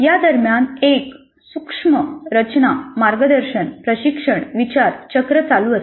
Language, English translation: Marathi, And during this, there is a subtle structure guidance coaching reflection cycle that goes on